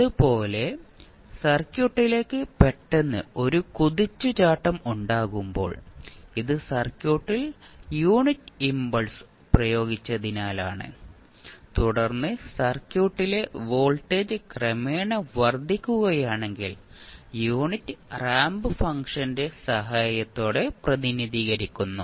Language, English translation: Malayalam, Similarly, when there is a sudden search coming into the circuit, then you will say this is the unit impulse being applied to the circuit and then if the voltage is building up gradually to the in the circuit then, you will say that is can be represented with the help of unit ramp function